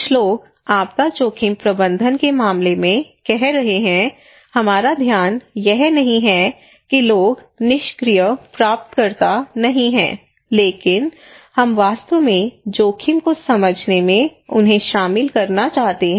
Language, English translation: Hindi, Some people are saying in case of disaster risk management that our focus is not that people are not passive recipient, but what we do then we actually involve them in understanding the risk because we know people have different understanding of the risk